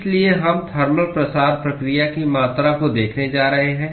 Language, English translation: Hindi, So, we are going to look at quantitation of thermal diffusion process